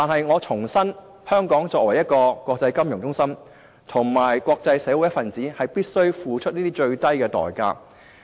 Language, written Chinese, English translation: Cantonese, 我重申，香港作為國際金融中心及國際社會一分子，必須付出這些最低代價。, Let me reiterate as an international financial centre and a member of the international community Hong Kong must pay this minimum price